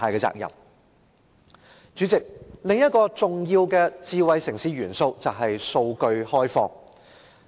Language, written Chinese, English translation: Cantonese, 主席，智慧城市另一個重要元素是開放數據。, President another important element of a smart city is open data